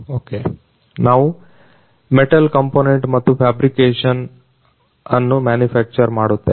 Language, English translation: Kannada, We are manufacturing sheet metal component and fabrication